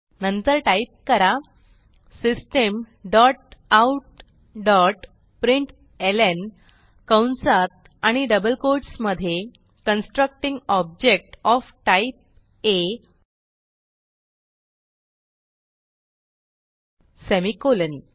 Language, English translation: Marathi, Then type System dot out dot println within brackets and double quotes Constructing object of type A semicolon